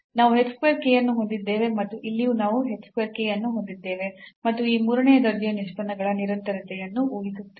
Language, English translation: Kannada, So, 3 times h square k is appearing here we have h square k and then here also we have h square k and assuming the continuity of these third order derivatives